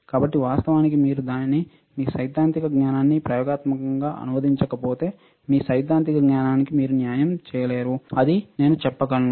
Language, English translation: Telugu, So, actually it until unless you translate it to experimental your theoretical knowledge you are not doing justice to your theoretical knowledge that is what I can say